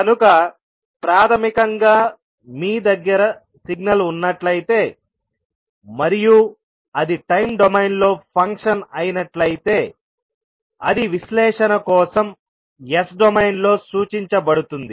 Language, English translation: Telugu, So, basically if you have signal which have some function in time domain that can be represented in s domain for analysis